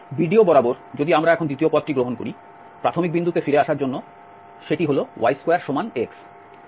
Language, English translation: Bengali, Along BDO, if we take the second path now, to get back to the initial point, that is y square is equal to x